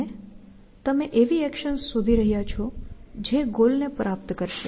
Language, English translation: Gujarati, And you are looking for actions which will achieve the goal essentially